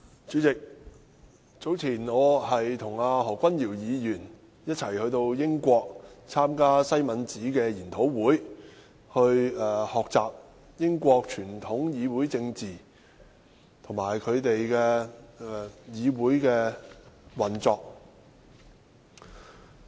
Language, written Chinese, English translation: Cantonese, 主席，早前我和何君堯議員一起到英國參加西敏寺研討會，學習英國傳統議會政治和議會運作。, President Dr Junius HO and I attended the Westminster Seminar on Parliamentary Practice and Procedure which was about the conventions of British parliamentary politics